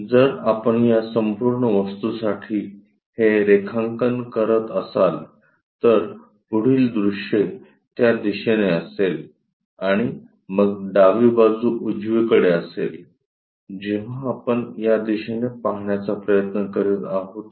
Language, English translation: Marathi, So, if we are drawing this one for this entire object, the front view will be that and then, left side towards right direction, we are trying to look at